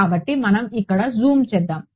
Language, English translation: Telugu, So, let us zoom this guy over here right